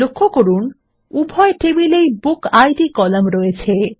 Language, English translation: Bengali, Notice that the BookId column is in both the tables